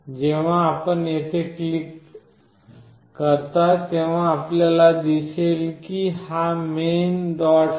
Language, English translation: Marathi, When you click here you see this is the main